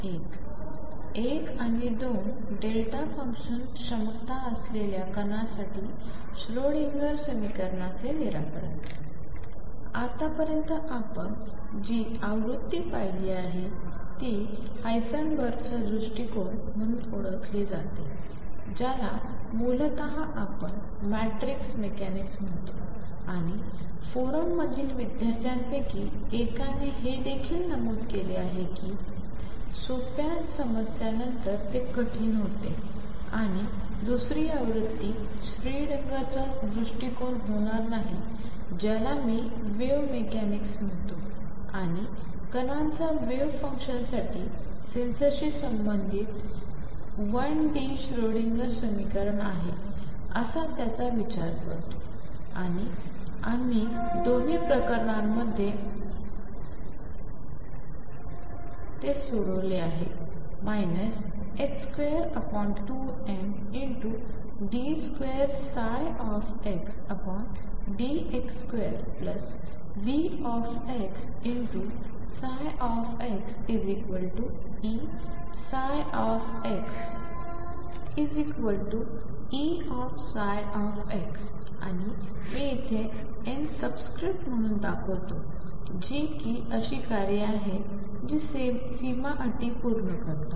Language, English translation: Marathi, What we have done so far is the version which is known as the Heisenberg’s approach which is essentially what we called matrix mechanics and as one of the students in the forum also pointed out it does become difficult after certain simple problems and the other version will not about is the Schrodinger’s approach which is nothing but what I will call wave mechanics and its considers particles has having associated with sensor for the wave function the one d Schrodinger equation